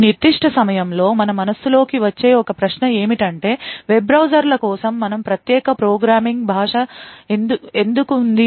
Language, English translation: Telugu, One question that actually comes to our mind at this particular point of time is why do we have a special programming language for web browsers